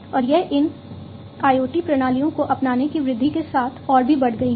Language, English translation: Hindi, And this could be further increased with the increase of adoption of these IoT systems